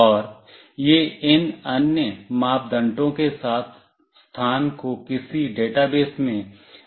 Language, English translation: Hindi, And it will upload both the location along with these other parameters into some database